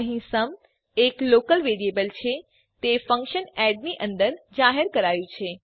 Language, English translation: Gujarati, Here sum is a local variable it is declared inside the function add